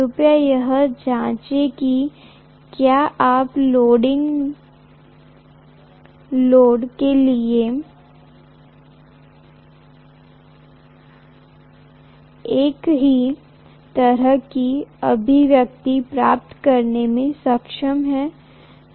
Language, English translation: Hindi, Please check it out whether you are able to get the same kind of expression for leading load